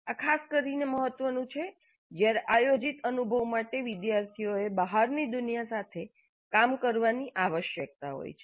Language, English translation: Gujarati, This is particularly important when the planned experience requires the students to work with the outside world